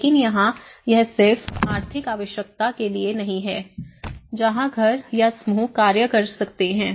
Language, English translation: Hindi, But here, the thing is it is not just for the economic necessity where households or groups act upon